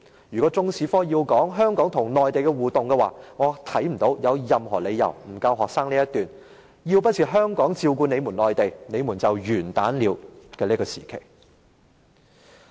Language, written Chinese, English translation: Cantonese, 如果中史科要涉及香港與內地的互動關係，我看不到任何理由不向學生教授，曾經出現"要不是香港人照顧內地人，內地人就完蛋"的時期的歷史。, If Chinese History has to cover the interactive relationship between Hong Kong and the Mainland I fail to see any reason why the period of were it not for the help provided by Hong Kong people the Mainlanders would be doomed is not included